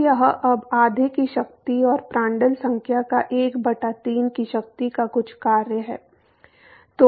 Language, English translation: Hindi, So, that is now some function of the power of half and Prandtl number to the power of 1 by 3